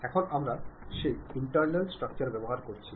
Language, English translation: Bengali, Now, we are using that internal structure